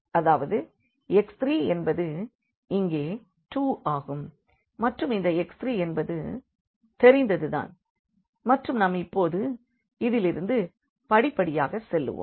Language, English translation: Tamil, So, here we have actually 3x 3 is equal to 6; that means, x 3 is 2 here then this x 3 is known then from this we will go step by step to up now